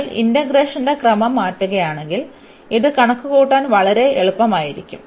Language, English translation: Malayalam, If you change the order of integration then this will be much easier to compute